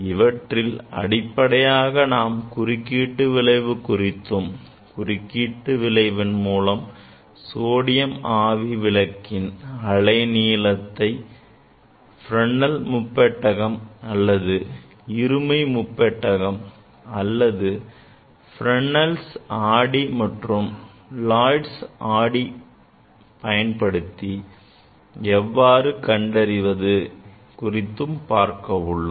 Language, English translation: Tamil, Here basically you will learn about the interference and using the interference, how we can determine the wavelength of, say sodium light, using the Fresnel s prism or Bi Prism or using the Fresnel s mirror or using the Lloyd s mirror